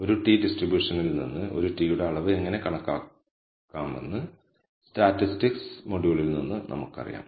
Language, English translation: Malayalam, So now, we know from the statistics module how to compute the quantiles for a t from a t distribution